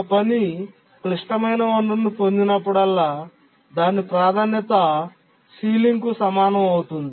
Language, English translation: Telugu, And whenever a task acquires a resource, a critical resource, its priority becomes equal to the ceiling